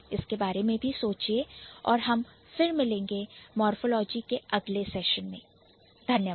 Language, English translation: Hindi, So, think about it and then we will meet again in the next session of morphology